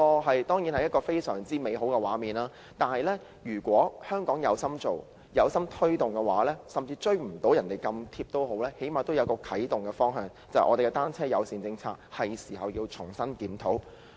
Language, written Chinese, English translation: Cantonese, 這當然是一個非常美好的畫面，如果香港是有心推動的話，即使未能追上他們，但最少可以訂下一個啟動方向，因此，這是重新檢討單車友善政策的時候。, This is obviously a very beautiful picture . If Hong Kong is sincere in promoting cycling though it may not necessarily be able to catch up with their pace it may at least set the direction . Hence this is the time we reviewed afresh the bicycle - friendly policy